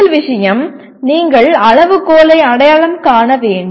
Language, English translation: Tamil, And first thing is you have to identify a criteria